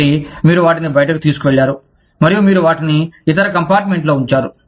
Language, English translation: Telugu, So, you took them out, and you put them in the other compartment, to dry